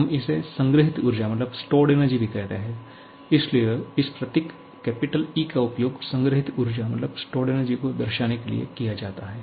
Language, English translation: Hindi, Often, we also called it as stored energy so, this symbol capital E we are going to use denote the stored energy